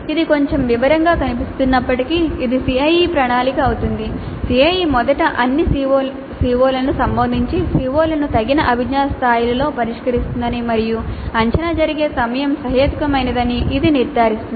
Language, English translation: Telugu, Though it looks a little bit detailed, this ensures that the CIE first addresses all CEOs then at the address COs at appropriate cognitive levels and the time at which the assessment happens is reasonable